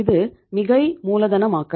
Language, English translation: Tamil, Similarly, over capitalization